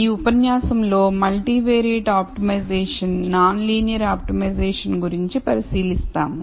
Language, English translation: Telugu, In this lecture we will look at multivariate optimization non linear optimization